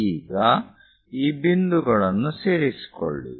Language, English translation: Kannada, Now, join these points